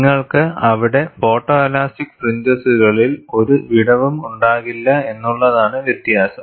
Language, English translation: Malayalam, The difference is, you will not have a gap in the photo elastic fringes there